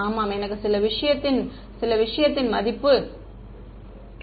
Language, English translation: Tamil, Yeah I have some value of the thing